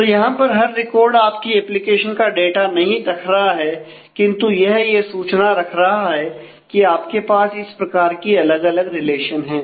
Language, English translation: Hindi, So, every record here is not keeping the data of your application, but its keeping the information that here you have these different relations